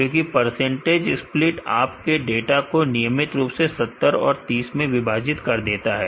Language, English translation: Hindi, Since percentage split divides your data 70 30 randomly